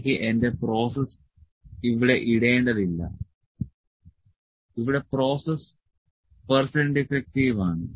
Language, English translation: Malayalam, I not need to put my process, here process is percent defective